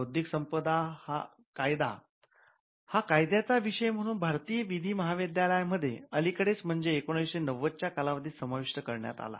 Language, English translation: Marathi, Intellectual property law was introduced as a legal subject in the law schools in India, it is of recent origin in somewhere in the 1990's, we saw that it was introduced as a legal subject